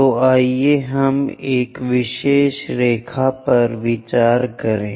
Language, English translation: Hindi, So, let us consider one of the particular line